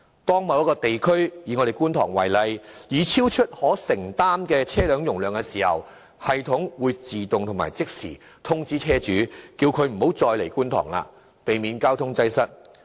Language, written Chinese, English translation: Cantonese, 當某一地區已超出可承受車輛容量時，系統會即時自動通知車主不要駛入觀塘，避免交通擠塞。, When the traffic volume in a certain district say Kwun Tong exceeds the districts road capacity the sensing system will automatically notify vehicle owners not to enter Kwun Tong so as to avoid traffic congestions